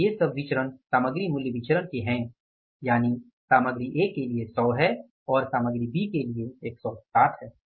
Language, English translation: Hindi, So, these are the variances for the material price variance that is the for the material A is 100 and for the material B is 160